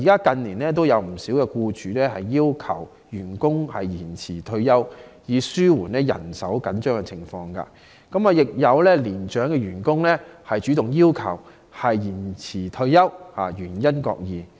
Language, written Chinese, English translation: Cantonese, 近年已有不少僱主要求員工延遲退休，以紓緩人手緊張的情況，亦有年長員工主動要求延遲退休，原因各異。, In recent years some employers have asked their employees to postpone their retirement to alleviate manpower shortage while other employees have voluntarily made such requests for different reasons